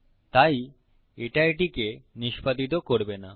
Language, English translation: Bengali, Therefore it wont execute this